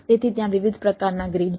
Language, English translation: Gujarati, so there are different type of grids